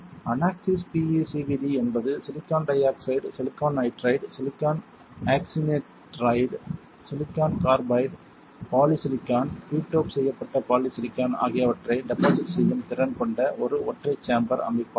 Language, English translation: Tamil, The unaxis PECVD is a single chamber system capable of depositing silicon dioxide silicon nitride, silicon oxynitride, silicon carbide, polysilicon, P doped polysilicon